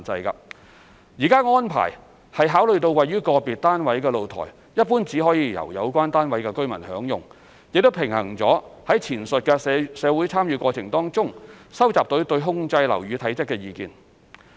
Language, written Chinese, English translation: Cantonese, 現時的安排，是考慮了位於個別單位的露台一般只可由有關單位的居民享用，亦平衡了於前述社會參與過程中收集到對控制樓宇體積的意見。, The current arrangement has taken into account the fact that the balcony of an individual flat is generally for exclusive use by the occupants . It has also balanced the views on controlling building bulk collected in the aforesaid public engagement exercise